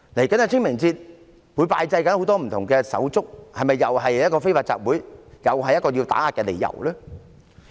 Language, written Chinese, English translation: Cantonese, 屆時市民會拜祭很多不同的手足，是否又是非法集會，又是一個打壓的理由呢？, People will pay respects to many different fellows on that day . Will there be unlawful assemblies and another pretext for suppression too?